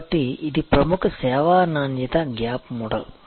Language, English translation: Telugu, So, this is the famous service quality gap model